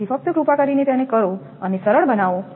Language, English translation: Gujarati, So, just please do it and simplify